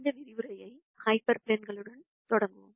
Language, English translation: Tamil, Let us start this lecture with hyper planes